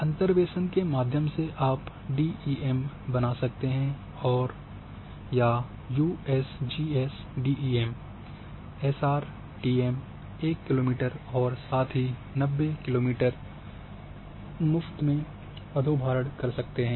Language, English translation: Hindi, Through interpolations you can create the DEM or download the free DEM of USGS DEM, SRTM 1 kilometre and as well as 90 kilometre